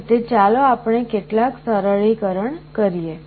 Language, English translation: Gujarati, In this way let us do some simplification